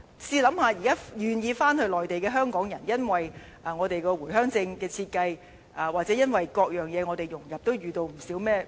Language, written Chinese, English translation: Cantonese, 試想象，現在願意回內地的香港人，會是如何因為回鄉證的設計，或因為各樣融入而遇到不少問題。, But one can imagine the problems faced by those Hong Kong people who are willing to reside in the Mainland nowadays such as problems arising from the design of Home Visit Permit or various integration issues